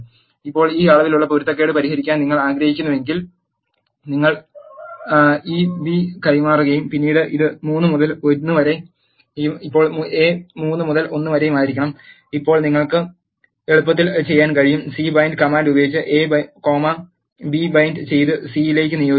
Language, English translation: Malayalam, Now, if you want to resolve this dimension inconsistency you have to transpose this B and then have this as 3 by 1 and now A is 3 by 1 now you can easily do the C bind operation by using C bind command C bind of A comma B and assign it to C